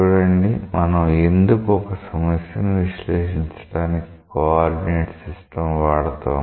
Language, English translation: Telugu, See why we use a coordinate system for analyzing a problem